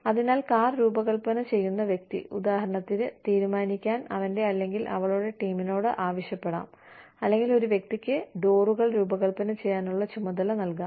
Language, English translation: Malayalam, So, the person designing the car, for example, may ask his or her team, to decide, you know, or may assign the task of designing doors, to one person